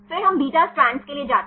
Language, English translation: Hindi, Then we go for the beta strand